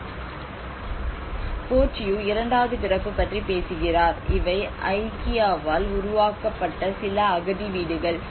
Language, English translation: Tamil, He reflects about second birth Bourdieu talks about second birth these are some of the refugee homes which were created by the Ikea